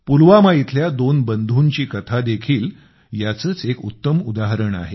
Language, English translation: Marathi, The story of two brothers from Pulwama is also an example of this